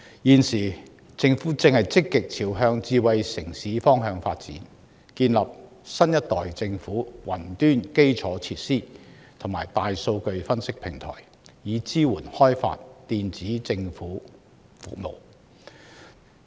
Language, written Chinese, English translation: Cantonese, 現時，政府正積極朝向智慧城市方向發展，建設新一代政府雲端基礎設施和大數據分析平台，以支援開發電子政府服務。, The Government is now actively developing Hong Kong into a smart city and building infrastructures for the Next Generation Government Cloud as well as platforms for big data analysis to support the development of e - Government services